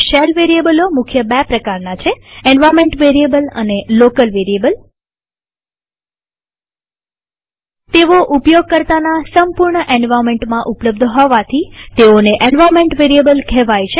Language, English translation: Gujarati, There are mainly two kinds of shell variables: Environment Variables and Local Variables Environment variables, named so because they are available entirely in the users total environment